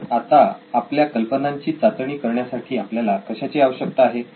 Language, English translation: Marathi, So now what do we need to test our ideas